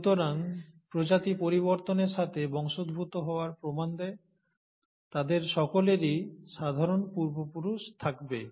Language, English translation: Bengali, So, species show evidence of descent with modification, and they all will have common ancestor